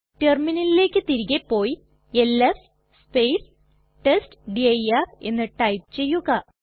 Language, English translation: Malayalam, Go back to the terminal and type ls testdir